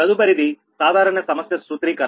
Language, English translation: Telugu, next is that general problem formulation